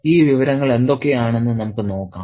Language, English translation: Malayalam, Let's see what these information are